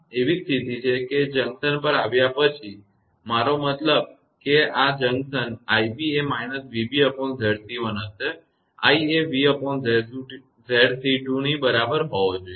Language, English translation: Gujarati, So, these are the condition that after arrival at the junction; i mean this junction, i b will be minus v b upon Z c 1 and i should be is equal to v upon Z c 2